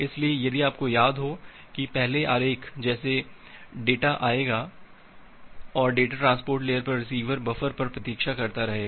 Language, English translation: Hindi, So, if you remember earlier the diagram like the data will come and the data will keep on waiting on the receiver buffer at the transport layer